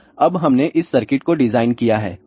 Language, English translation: Hindi, So, now we have designed this particular circuits